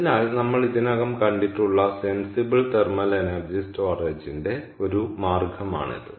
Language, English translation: Malayalam, so this is one way of sensible thermal energy storage, ok, which we have already seen